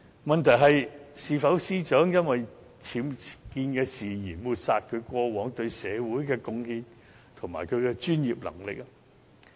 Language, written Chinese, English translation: Cantonese, 問題是，是否因為司長僭建事件而抹煞她過往對社會的貢獻及專業能力？, The question is should the Secretary for Justices UBWs incident obliterate her past contribution to society and her professional competency?